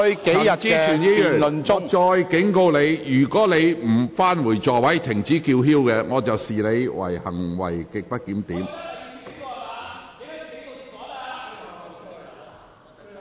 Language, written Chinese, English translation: Cantonese, 陳議員，我再次警告你，如果你拒絕返回座位及停止叫喊，我會視之為行為極不檢點。, Mr CHAN I warn you again . If you refuse to return to your seat and to stop shouting I will regard your conduct as grossly disorderly